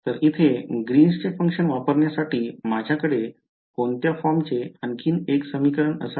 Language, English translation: Marathi, So, in order to use this Green’s function over here I should have another equation of the form what